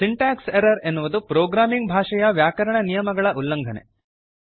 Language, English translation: Kannada, Syntax error is a violation of grammatical rules, of a programming language